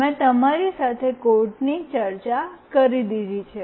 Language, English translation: Gujarati, I have already discussed the codes with you